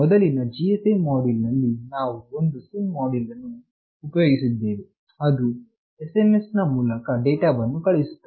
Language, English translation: Kannada, In previous GSM module, we were using a SIM module that was sending the data through SMS